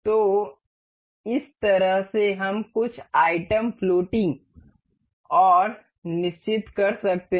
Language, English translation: Hindi, So, in this way we can make something floating and fixed some items